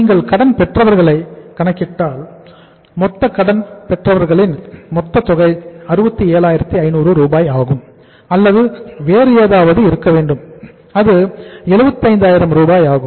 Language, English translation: Tamil, If you calculate the sundry debtors total amount of the sundry debtors is with us that is 67,500 or it has to be something else it is 75,000